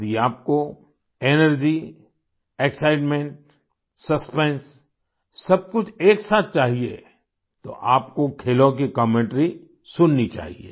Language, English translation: Hindi, If you want energy, excitement, suspense all at once, then you should listen to the sports commentaries